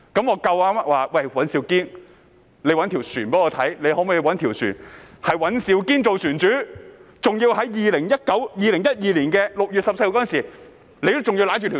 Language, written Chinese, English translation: Cantonese, 我想叫尹兆堅議員找一艘船，是由他做船主的，還要在2012年6月14日時已經擁有這艘船。, I would like to ask Mr Andrew WAN to get a vessel which he is the owner and has owned the vessels since 14 June 2012